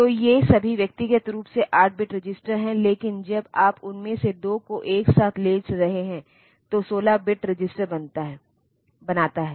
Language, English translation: Hindi, So, these are all individually 8 bit register, but when you are taking 2 of them together makes a 16 bit register, then there is stack pointer